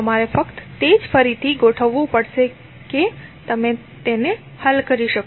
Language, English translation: Gujarati, You have to just simply rearrange in such a way that you can solve it